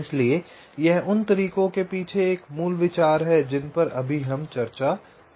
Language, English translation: Hindi, so this is the basic idea behind the methods that we shall be discussing now